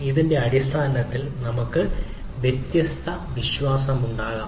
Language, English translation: Malayalam, based on that, we can have different trust on those things